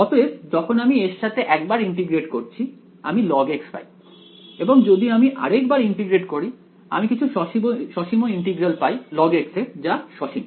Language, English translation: Bengali, So, when I integrate it with this once I got log x if I integrate this once more I will get something finite integral of log x is finite